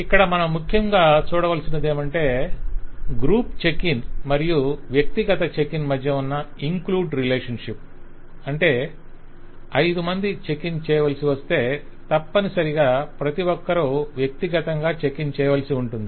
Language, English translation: Telugu, So the kind of things that we can expect is one is include relationship between the group check in and the individual check in, Which means that if 5 people have to check in, then necessarily it means that each one of them have to check in individually